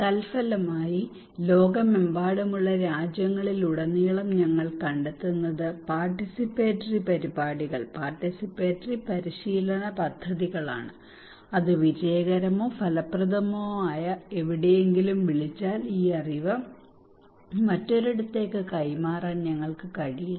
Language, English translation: Malayalam, As a result what we are finding across regions across nations across globe that participatory programs participatory exercises projects that is if it is called in somewhere good successful or effective we are not able to transfer these knowledge into another place